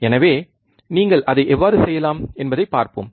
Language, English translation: Tamil, So, let us see how you can do it